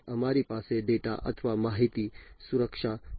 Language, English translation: Gujarati, We have data or information security, right